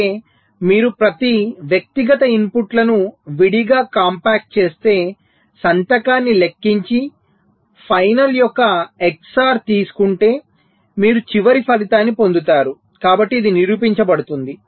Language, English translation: Telugu, so means if you compact um each of the individual inputs separately, compute the signature and take the xor of the final, you will be getting the final result at the end